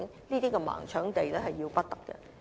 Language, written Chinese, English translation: Cantonese, 這種"盲搶地"的做法是要不得的。, Such a blind snatch of land is unacceptable